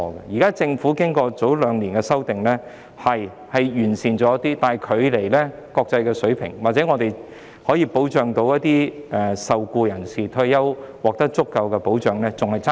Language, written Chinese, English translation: Cantonese, 雖然政府早兩年作出修訂後，有關情況稍為有所改善，但距離國際水平還有很大距離，亦遠遠未能確保受僱人士在退休時獲得足夠的保障。, Although the situation has slightly improved following the amendments made by the Government two years ago there is still a long way to reach the international level and it is still far from adequate to ensure sufficient protection for employees upon their retirement